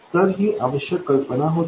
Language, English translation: Marathi, So, this was the essential idea